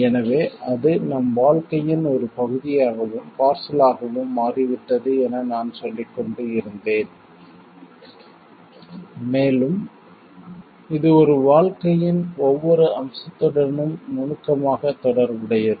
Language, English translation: Tamil, So, just I was telling it has lively become life part and parcel of our life and it has like got intricately related to every aspect of a life